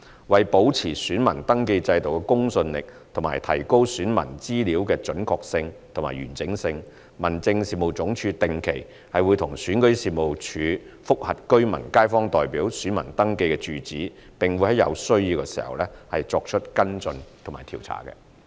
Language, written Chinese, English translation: Cantonese, 為保持選民登記制度的公信力及提高選民資料的準確性及完整性，民政事務總署定期與選舉事務處覆核居民/街坊代表選民登記住址，並會在有需要時作出跟進調查。, In order to maintain the credibility of the voter registration system and improve the accuracy and completeness of the data of the electors HAD regularly reviews the registered addresses of electors in Rural Representative ElectionKaifong Representative Election with REO and will conduct investigation as and when necessary